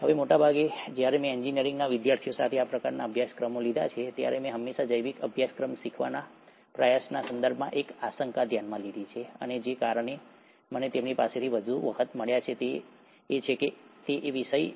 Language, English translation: Gujarati, Now, most of the times when I have taken these kind of courses with engineering students, I have always noticed an apprehension in terms of trying to learn a biological course, and the reasons that I have gotten more often from them is that it's a subject which requires a lot of memorizing